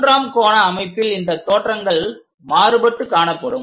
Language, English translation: Tamil, In the third angle system, these views will be alternatively arranged